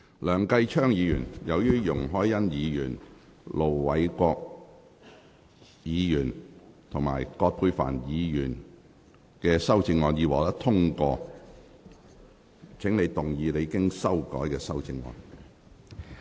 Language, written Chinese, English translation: Cantonese, 梁繼昌議員，由於容海恩議員、盧偉國議員及葛珮帆議員的修正案已獲得通過，請動議你經修改的修正案。, Mr Kenneth LEUNG as the amendments of Ms YUNG Hoi - yan Ir Dr LO Wai - kwok and Dr Elizabeth QUAT have been passed you may move your revised amendment